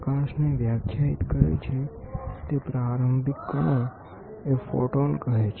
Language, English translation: Gujarati, The elementary particle that defines light is photon